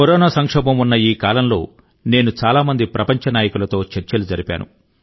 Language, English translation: Telugu, during the ongoing Corona crisis, I spoke to mnay world leaders